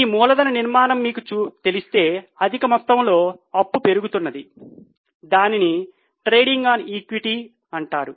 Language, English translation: Telugu, If you in your capital structure there is a higher quantum of debt, the return tends to increase which is known as trading on equity